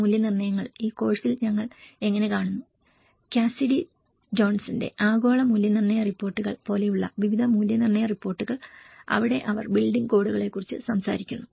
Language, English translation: Malayalam, And assessments, how we come across in this course, various assessment reports like global assessment reports which is by Cassidy Johnson, where they talk about the building codes